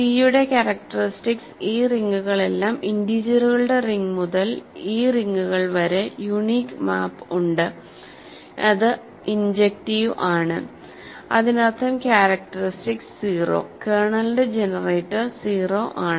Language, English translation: Malayalam, So, characteristic of C all this rings have the unique map from the ring of integers to these rings is injective; that means, characteristic is 0; the generator of the kernel is 0